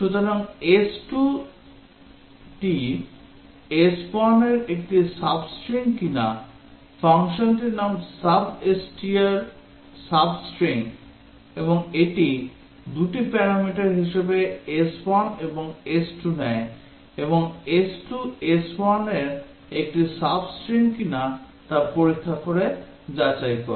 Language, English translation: Bengali, So, whether s2 is a sub string of s1, the name of the function is substr sub string and it takes s1 and s2 as the two parameters and need to check and it checks whether s2 is a sub string of s1